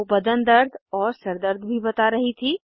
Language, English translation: Hindi, She was complaining of body pain, head ache as well